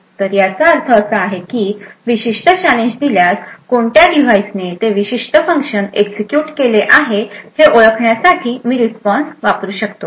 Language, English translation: Marathi, So, what this means is that given a particular challenge I can use the response to essentially identify which device has executed that particular function